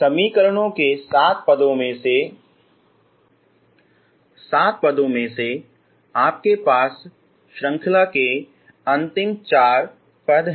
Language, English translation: Hindi, Among the seven terms in the equations you have last four terms of series